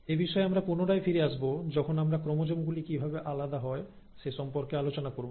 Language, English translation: Bengali, And I will come back to this when we are talking about how the chromosomes actually get separated